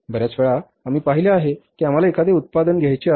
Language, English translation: Marathi, Many times we have seen that we want to buy a product